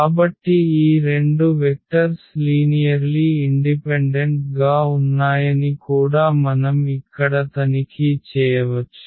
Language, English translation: Telugu, So we can check here also that these 2 vectors are linearly independent